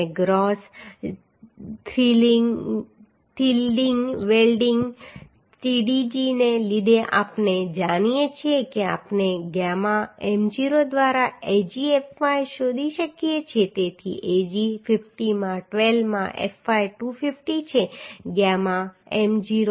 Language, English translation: Gujarati, 36 kilonewton right And the strength due to gross yielding Tdg we know we can find out Agfy by gamma m0 so Ag is 50 into 12 into fy is 250 gamma m0 is 1